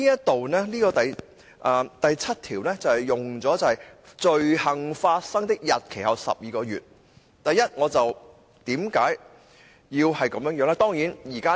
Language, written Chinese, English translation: Cantonese, 第7條便採用了"罪行發生的日期後12個月"，為何要這樣寫呢？, Clause 7 prescribes a time limit of within 12 months after the date of the commission of the offence . But why is it written in this manner?